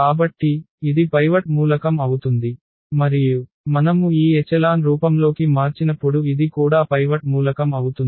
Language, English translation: Telugu, So, this will be the pivot element and this will be also the pivot element when we convert into this echelon form